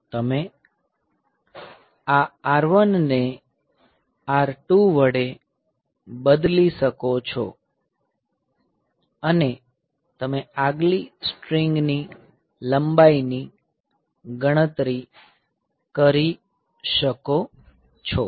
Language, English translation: Gujarati, So, which you can just replace this R 1 by R 2; you can get the next strings length is calculated